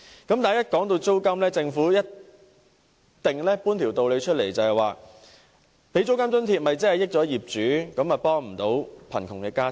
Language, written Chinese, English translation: Cantonese, 一旦談及租金津貼，政府便一定搬出一大道理，指政府提供租金津貼只會便宜業主，又未能協助貧窮家庭。, Whenever we talk about rent subsidy the Government will put forth some grand reasons saying that the provision of rent subsidy will only benefit the landlords but cannot help the poor families